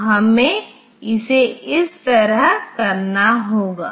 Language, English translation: Hindi, So, we have to do it like this